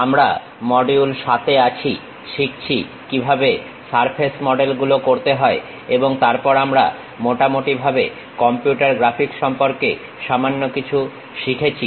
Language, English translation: Bengali, We are in module number 7, learning about how to construct surface models and further we are learning little bit about Overview on Computer Graphics